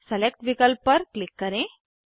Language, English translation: Hindi, Go to Select option